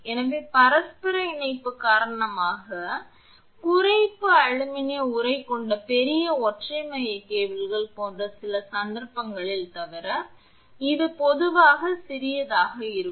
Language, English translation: Tamil, So, the reduction due to mutual coupling with the sheath this is generally small except in some cases such as large single core cables with aluminum sheath